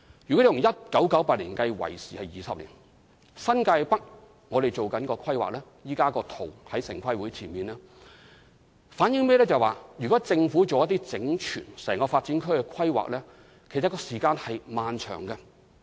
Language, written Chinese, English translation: Cantonese, 由1998年至今已20年，而新界北正進行規劃，現時大綱圖已提交城市規劃委員會，這反映如果政府就整個發展區作出整全的規劃，時間可以很漫長。, It has been 20 years since 1998 and we are planning for the New Territories North the outline zoning plan of which has been submitted to the Town Planning Board . This reflects that it may take a long time for the Government to make an overall plan for an entire development area